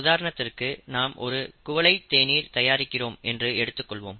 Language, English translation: Tamil, Let us say that we are making cup of tea